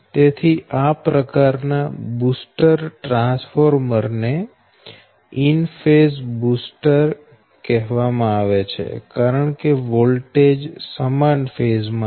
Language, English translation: Gujarati, so this type of booster transformer is called an in phase booster because the voltage are in phase, so v a n does can be adjusted by